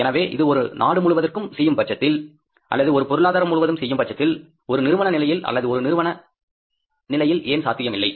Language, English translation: Tamil, So, if it can be done at the country level or the economy level, then why it should not be at a company level or a firm level